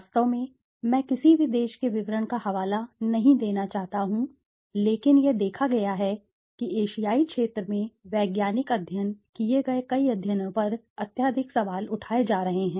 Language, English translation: Hindi, In fact, I don t want to cite any country details but it has been seen that many of the studies, that scientific studies been conducted in the Asian zone are highly being questioned